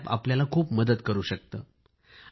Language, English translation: Marathi, It can be a great help to you